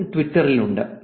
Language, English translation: Malayalam, 048 in twitter